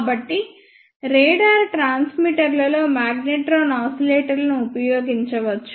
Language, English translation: Telugu, So, magnetron oscillators can be used in radar transmitters